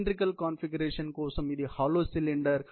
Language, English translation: Telugu, Cylindrical configuration; it is a hollow cylinder